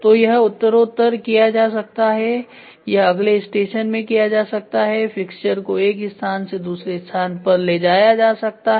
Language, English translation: Hindi, So, this can be done progressively or this can be done in next station the fixture can move one station to the other